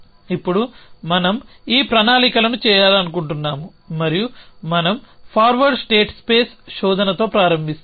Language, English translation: Telugu, Now, we want to do this planning and we start with forward state space search